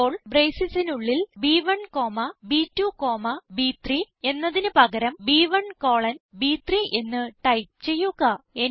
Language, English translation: Malayalam, Now, within the braces, instead of B1 comma B2 comma B3, type B1 colon B3 Press Enter